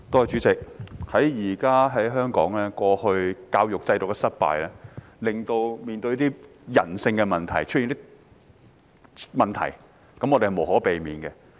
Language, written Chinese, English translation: Cantonese, 主席，香港過去教育制度的失敗，令現時出現人性的問題，這是無可避免的。, President the failure of Hong Kongs education system in the past has inevitably given rise to problems relating to human nature now